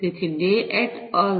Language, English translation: Gujarati, So, Dey et al